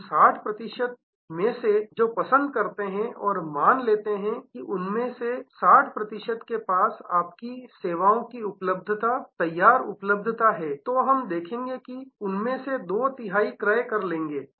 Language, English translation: Hindi, Of the 60 percent who prefer and suppose 60 percent of them have ready access, ready availability of your services, then we can see two third of them will purchase